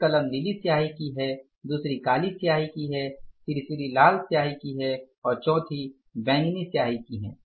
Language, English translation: Hindi, One pen is of the blue ink, second is with the black ink, third is with the red ink and fourth is with the purple ink, right